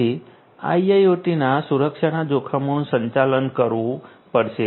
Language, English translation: Gujarati, So, IIoT security risks will have to be managed